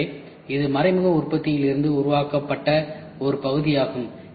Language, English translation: Tamil, So, this is a part which is made out of indirect manufacturing